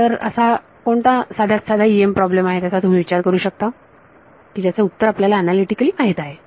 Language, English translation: Marathi, So, what is the simplest EM problem you can think of where you know the answer analytically